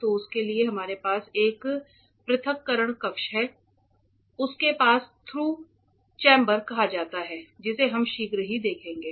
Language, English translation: Hindi, So, for that we have a separation chamber it is called a pass through chamber which we will see shortly